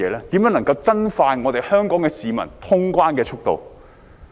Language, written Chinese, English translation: Cantonese, 如何能夠加快香港市民通關的速度？, How can customs clearance be expedited for the public of Hong Kong?